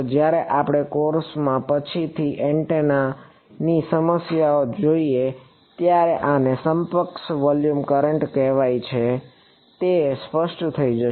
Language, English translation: Gujarati, When we look at antenna problems later on in the course the reason why this is called a equivalent volume current will become clear ok